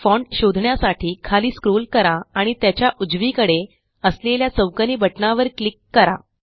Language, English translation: Marathi, Let us scroll down to find Font and click on the square button on its right